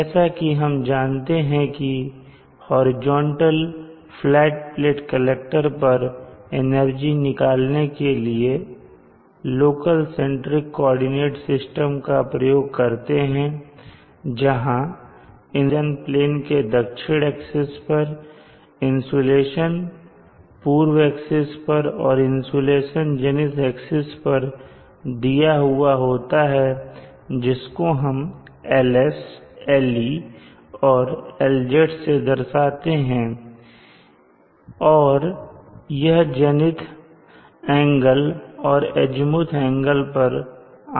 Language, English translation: Hindi, As in the case of the energy on a horizontal flat plate collector we have from the local centric coordinate system the insulation given as the insulation along the south axis of the horizon plane insulation along the east +LZ along the zenith axis, so L as Le and Lz are given in terms of the zenith angle and the azimuthal angle